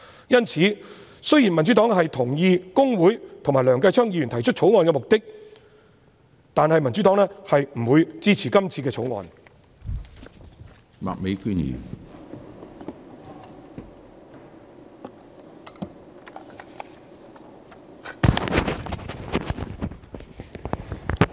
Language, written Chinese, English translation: Cantonese, 因此，雖然民主黨同意公會和梁繼昌議員提出《條例草案》的目的，但不會支持《條例草案》。, Thus although the Democratic Party agrees with the purpose of the Bill proposed by Mr Kenneth LEUNG we will not support the Bill